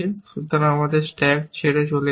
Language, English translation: Bengali, So, that is gone now, from the stack